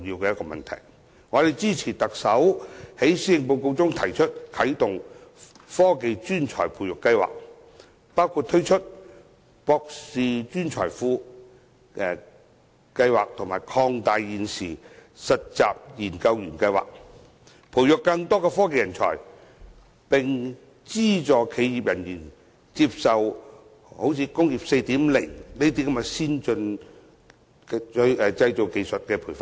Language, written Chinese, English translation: Cantonese, 我們支持特首在施政報告中提出啟動"科技專才培育計劃"，包括推出"博士專才庫"計劃及擴大現時的"實習研究員計劃"，培育更多科技人才，並資助企業人員接受如"工業 4.0" 的先進製造技術培訓。, We support the Chief Executives proposal of launching the Technology Talent Scheme in her Policy Address which includes establishing a Postdoctoral Hub and expanding the current Internship Programme to nurture more technology talents and subsidize staff of enterprises to receive training on advanced manufacturing technologies such as Industry 4.0